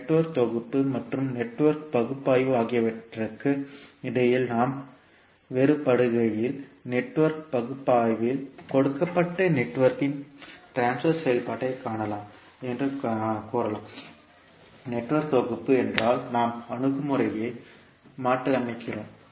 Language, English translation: Tamil, So when we differentiate between Network Synthesis and Network Analysis, we can say that in Network Analysis we find the transfer function of a given network while, in case if Network Synthesis we reverse the approach